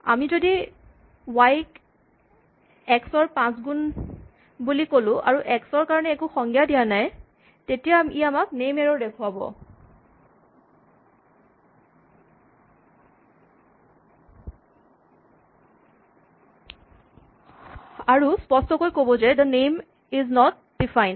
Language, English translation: Assamese, Supposing we say y is equal to 5 times x and we have not define anything for x then, it gives us an index error a name error and it says clearly that, the name x is not defined